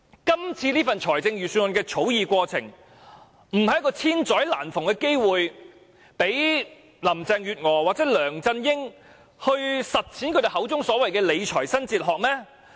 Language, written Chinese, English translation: Cantonese, 今次這份財政預算案的草擬過程，不就是千載難逢的機會，讓林鄭月娥或梁振英實踐他們口中的"理財新哲學"嗎？, Had this been the case Carrie LAM or LEUNG Chun - ying should have seen a very rare opportunity to implement the New Fiscal Philosophy in the drafting of the Budget this year